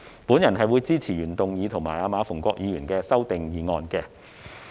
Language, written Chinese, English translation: Cantonese, 我會支持原議案及馬逢國議員的修正案。, I will support the original motion and Mr MA Fung - kwoks amendment